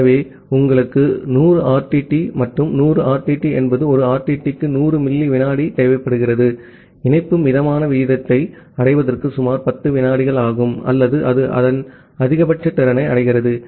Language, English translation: Tamil, So, you require 100 RTTs and 100 RTTs means with 100 millisecond per RTT, it is approximately 10 second before the connection reaches to a moderate rate or it reaches toward its maximum capacity